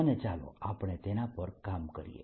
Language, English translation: Gujarati, so let us see what we had worked on